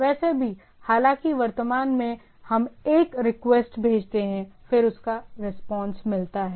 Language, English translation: Hindi, Anyway, though what at the present we send a request, get a return back